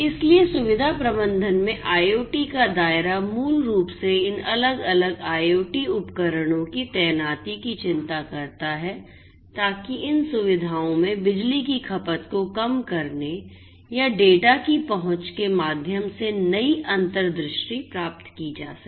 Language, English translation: Hindi, So, scope of IoT in facility management basically concerns the deployment of these different IoT devices, to get new insights through the access or gathering of the data, reducing power consumption in these facilities